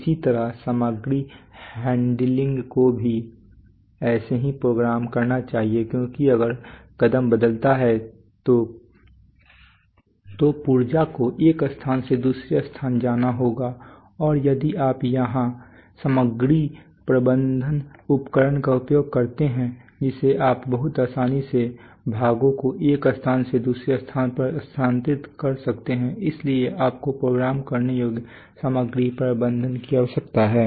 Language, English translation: Hindi, Should be also programmed because if the sequence changes then parts will have to travel from one place to another and so if you use material handling equipment for which is fixed then you cannot transfer parts from one place to another very flexibly that is why you need programmable material handling